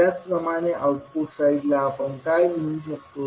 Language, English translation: Marathi, Similarly, at the output side what we can write